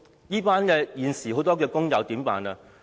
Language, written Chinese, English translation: Cantonese, 那麼現時的工友怎麼辦呢？, So what should the existing workers do?